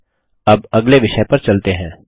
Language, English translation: Hindi, Okay, let us go to the next topic now